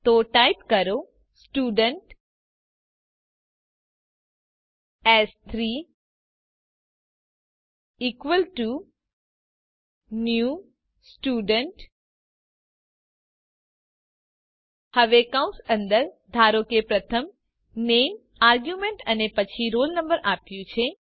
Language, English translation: Gujarati, So type Student s3= new Student() Now within parentheses, suppose i gave the name argument first and then the roll number